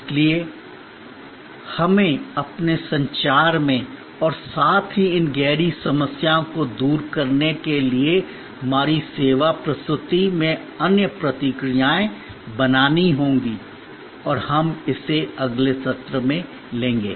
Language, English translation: Hindi, Therefore, we have to create other responses in our communication as well as in our service presentation to address these deeper problems and we will take it up in the next session